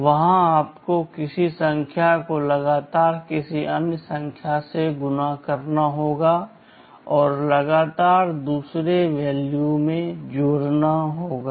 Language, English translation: Hindi, There you need to continuously multiply a number with some other number and add to another value continuously